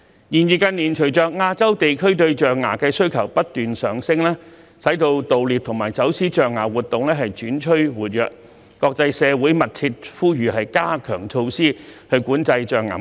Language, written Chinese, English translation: Cantonese, 然而，近年隨着亞洲地區對象牙的需求不斷上升，盜獵和走私象牙活動轉趨活躍，國際社會密切呼籲加強措施管制象牙貿易。, However as the demand for ivory in Asia continues to rise activities of elephant poaching and smuggling have gathered pace again leading to strong calls from the international community for strengthened regulatory measures against ivory trade